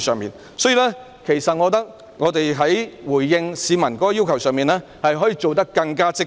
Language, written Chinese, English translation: Cantonese, 因此，我認為在回應市民的要求時，當局可以做得更加積極。, In this connection I think the authorities can be more proactive in responding to the aspirations of the people